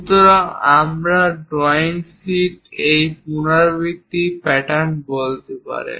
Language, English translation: Bengali, So, we can say this repeated pattern in the drawing sheets